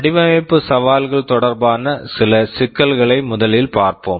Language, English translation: Tamil, Let us look at some issues relating to design challenges first